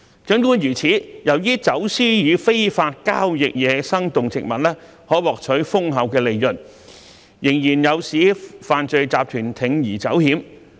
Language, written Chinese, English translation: Cantonese, 儘管如此，由於走私與非法交易野生動植物可獲取豐厚的利潤，仍有犯罪集團不惜鋌而走險。, However as wildlife trafficking and illegal trade are highly lucrative criminal syndicates are still ready to take the risks